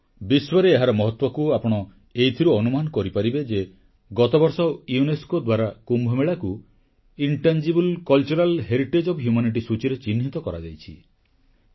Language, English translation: Odia, It is a measure of its global importance that last year UNESCO has marked Kumbh Mela in the list of Intangible Cultural Heritage of Humanity